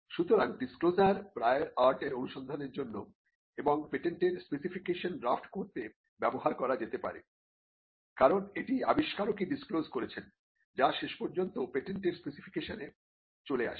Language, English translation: Bengali, So, the disclosure can be used to search for the prior art, and it can also be used to draft the patent specification itself, because it is the disclosure that the inventor makes, that eventually gets into the patent specification